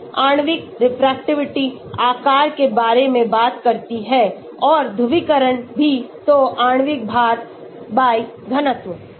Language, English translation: Hindi, Molecular refractivity talks about the size; and also the polarizability so molecular weight/ the density